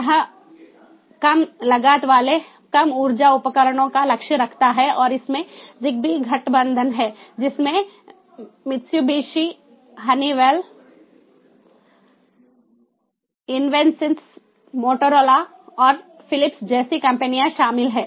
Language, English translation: Hindi, it aims at low cost, low energy devices and there is a zigbee alliance comprising of the companies such as mitsubishi, honeywell, invensys, motorola and philips